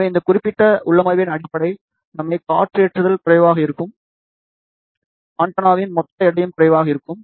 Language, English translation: Tamil, So, basic advantage of this particular configuration is wind loading will be less, total weight of the antenna will be also less